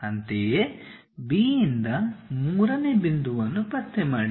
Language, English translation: Kannada, Similarly, from B locate third point